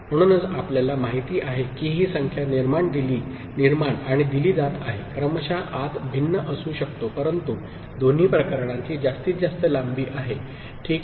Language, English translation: Marathi, So, that number getting generated and fed as you know, serial in could be different, but maximum length is there for both the cases, ok